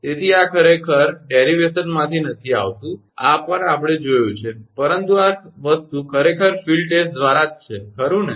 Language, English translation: Gujarati, So, this is actually not coming from any derivation, at the these are we have seen, but this thing actually all through the field test, right